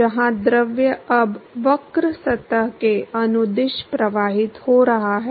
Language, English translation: Hindi, Where the fluid is now flowing at the along the curved surface